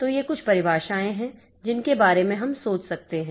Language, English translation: Hindi, So, these are some of the definitions that we can think about